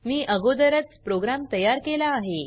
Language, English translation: Marathi, I have already made the program